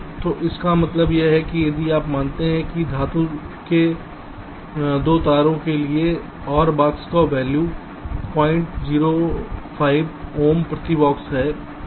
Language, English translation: Hindi, so this is means, if you consider that for metal two wire the value of r box is point zero five ohm per box right now